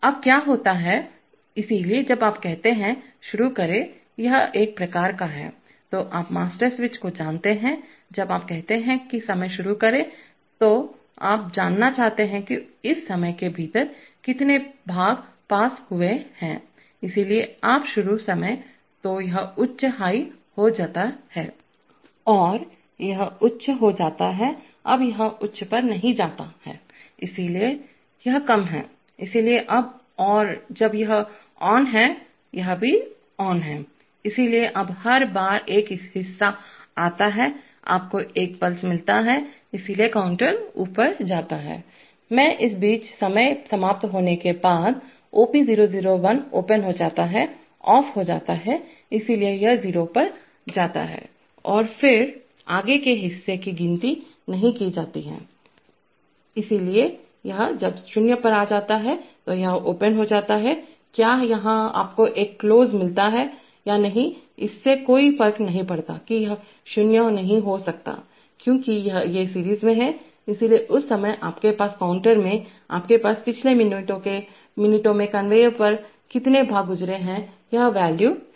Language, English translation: Hindi, now what happens is that, so when you say, start, this is a kind of, you know master switch then when you say start time, so you want to know of, within this time of, how many parts have pass, so you start time, so this goes high, And this goes high, now this does not go high, so this is low, so now and when this is on, this is also on, so now every time a part arrives, you get a pulse, so the counter goes up, in the meantime after the time has expired, OP001 goes open, goes off, so this goes to 0 and then further parts are not counted, so this, when this is going to 0, this becomes open, whether this, here you get a closed or not it does not matter this cannot be 0, because these are in series, so therefore at that time, you, in the counter, you have the value of how many parts have passed over the conveyor in the last minute